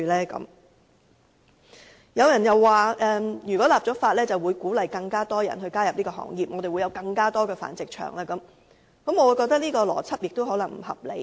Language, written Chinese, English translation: Cantonese, 此外，亦有人說一旦立法，會鼓勵更多人加入這個行業，導致更多繁殖場出現，我覺得這個邏輯同樣不合理。, Furthermore some argued that the enactment of legislation may encourage more people to join the breeding trade resulting in an increase in the number of animal breeding facilities . I find this logic equally unreasonable